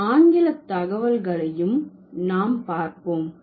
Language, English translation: Tamil, Let's have some English data also